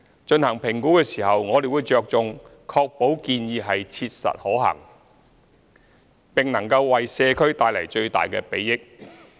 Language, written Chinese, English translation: Cantonese, 進行評估時，我們着重確保建議是切實可行，並能為社區帶來最大的裨益。, In evaluating the proposals we will focus on ensuring that the proposals are practicable and would be most beneficial to community